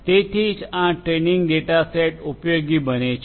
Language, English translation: Gujarati, So, that is where this training data set becomes useful